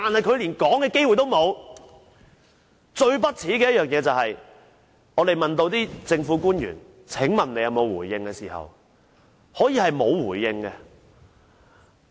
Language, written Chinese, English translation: Cantonese, 最令人不齒的是，當我們詢問政府官員有否回應時，他們竟可以是沒有回應。, We find it most shameful that when asked if there was anything that public officers would like to say in reply they simply answered that they had nothing to say